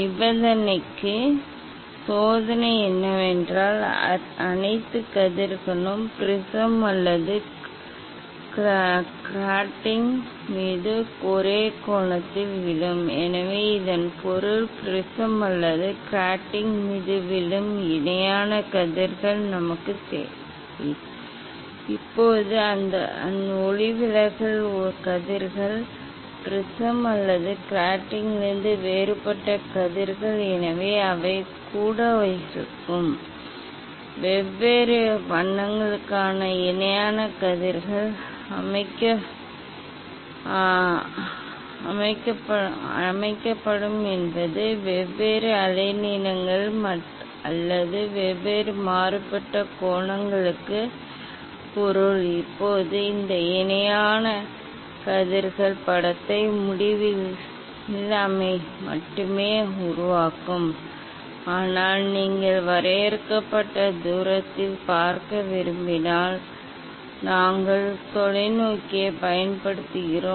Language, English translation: Tamil, For condition of the experiment is that all rays will fall at same angle on the prism or grating, so that means, we need parallel rays falling on the prism or grating, Now, that refracted rays or diffracted rays from prism or grating, so they will be also; there will be set of parallel rays for different colors means different wavelengths or for different diffracted angles, now this parallel rays, will form the image only at infinity, but if you want to see at finite distance, so we use telescope